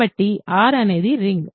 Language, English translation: Telugu, So, R is a ring